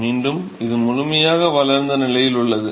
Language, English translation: Tamil, Again, this is in the fully developed region